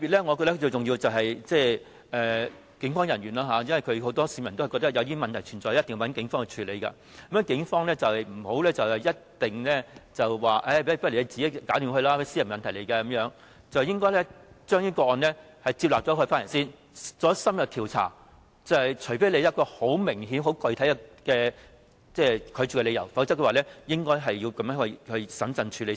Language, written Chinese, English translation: Cantonese, 我覺得最重要的是警務人員的做法，因為不少市民都覺得當出現問題時，便一定要報警處理，故警方不能一律以這些屬私人問題為由而要求求助人自行解決，而是應先受理這些個案，然後進行深入調查，除非有明顯及具體的拒絕理由，否則便應該審慎處理才對。, I think the way that the Police handle these cases is most important because many members of the public think that they must report to the Police when there is a problem . Therefore the Police must not indiscriminately tell people seeking assistance to solve the problem by themselves on the ground that the disputes are of a private nature . Rather they should first accept these cases and then conduct in - depth investigations